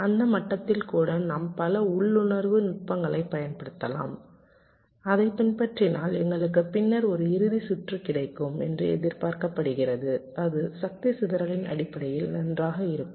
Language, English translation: Tamil, if and at that level, we can use a number of intuitive techniques which, if you follow, is expected to give us a final circuit later on that will be good in terms of power dissipation